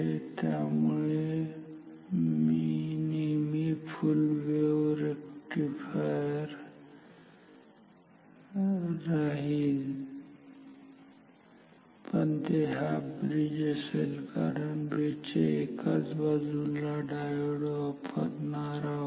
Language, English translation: Marathi, So, that is why its full wave rectifier, but its half bridge because we are using diodes only on one half of one side of this bridge ok